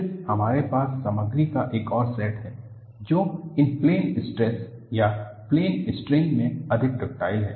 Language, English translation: Hindi, Then, we have another set of material, which is more ductile in plane stress or plane strain